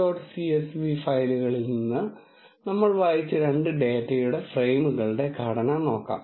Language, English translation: Malayalam, Now, let us see the structure of two data frames what we have read from the two dots csv files